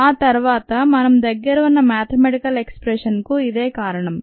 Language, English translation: Telugu, and that is what resulted in the earlier mathematical expression that we had